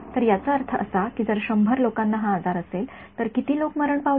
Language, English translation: Marathi, So; that means that if 100 people got this disease, how many died